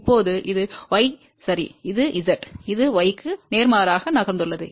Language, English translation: Tamil, Now, this is y ok, this was Z, we have move opposite this is y